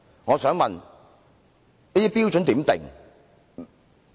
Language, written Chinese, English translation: Cantonese, 我想問有關標準如何釐定？, May I ask how the relevant standard is set?